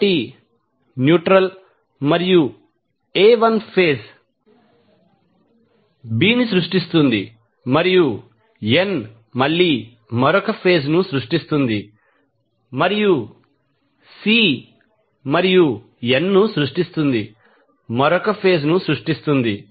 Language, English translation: Telugu, So, neutral and A will create 1 phase B and N will again create another phase and C and N will create, create another phase